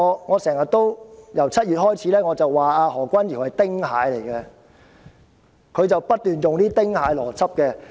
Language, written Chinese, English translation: Cantonese, 我由7月開始經常指何君堯議員是丁蟹，因為他不斷運用"丁蟹邏輯"。, I have been comparing Dr Junius HO to Ting Hai since July as he has continuously applied the Ting Hai logic